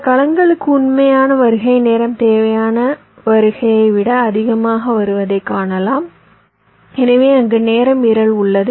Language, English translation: Tamil, you may find that the actual arrival time is becoming greater than the required arrival time, so there is a timing violation there